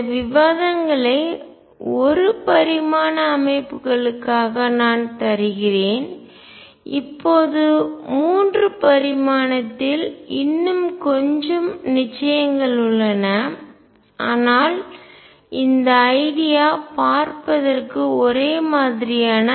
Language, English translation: Tamil, I am giving these arguments for one dimensional systems, now the 3 dimensional has little more certainties, but ideas pretty much the same